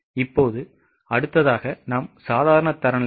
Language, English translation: Tamil, Now the next is normal standards